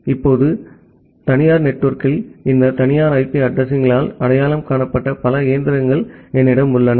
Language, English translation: Tamil, Now, in the private network, I have multiple machines who are identified by this private IP addresses